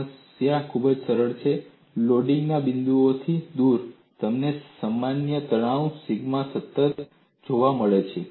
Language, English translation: Gujarati, The problem is so simple, away from the points of loading, you get the normal stresses, sigma is constant everywhere